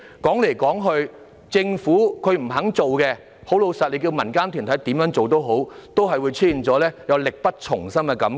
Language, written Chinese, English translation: Cantonese, 說到底，若政府不願下工夫，民間團體怎樣做也好，仍會出現力不從心的感覺。, After all if the Government is unwilling to make an effort no matter what the non - government organizations do there will still be the feeling of incapability